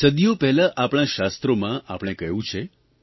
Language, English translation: Gujarati, Our scriptures have said centuries ago